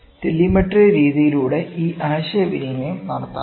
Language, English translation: Malayalam, This communication can be done by telemetry method